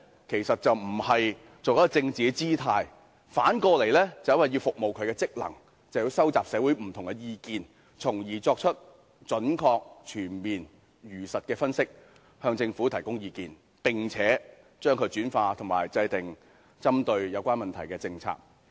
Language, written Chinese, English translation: Cantonese, 其實並非要擺甚麼政治姿態，而是因為若要發揮其職能，便須收集社會上的不同意見，從而作出準確、全面和如實的分析，向政府提供意見，用以制訂針對有關問題的政策。, What was the purpose? . It was not for making any political gesture . In fact to discharge its function it was necessary to collect different views in society with a view to making accurate comprehensive and truthful analyses and providing the Government with advice which would be used in the formulation of policies pinpointing on the relevant issues